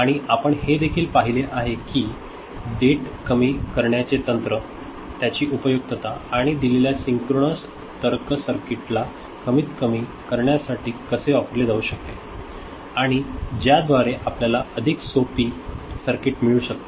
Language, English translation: Marathi, And also we saw that state reduction techniques, the usefulness of it and how it can be used to minimize a given synchronous logic circuit and by which we can get a more you know, a simpler circuit ok